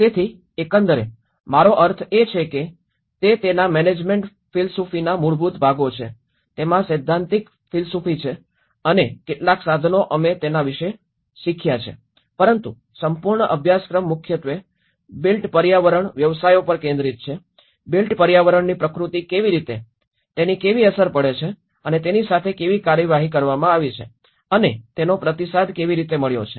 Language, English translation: Gujarati, So overall, I mean thatís the fundamental parts of the management philosophy of it, the theoretical philosophy of it, and some of the tools we have learnt about it but whole course is mainly focused on the built environment professions, how the nature of built environment, how it has an impact and how it has been dealt and how it has been responded